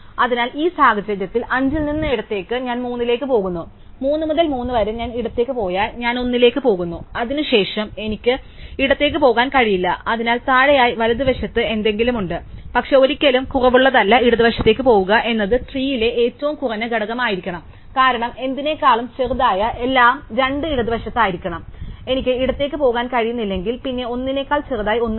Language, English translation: Malayalam, So, in this case from 5 for go left I go to 3, from 3 if I go to left I go to 1 and then I cannot go left there is something below one it is on the right, but never the less in cannot go left one must be the minimum element on the tree, because everything that is smaller than something will be 2 is left, so if I cannot go left is nothing smaller than 1